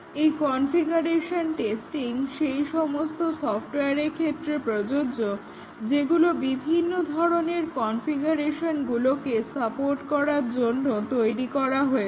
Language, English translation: Bengali, In configuration testing, which is applicable to software, which is built to support various configurations